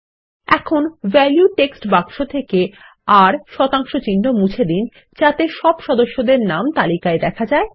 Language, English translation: Bengali, Let us now delete the R% from the value text box to list all the members and click on the Next button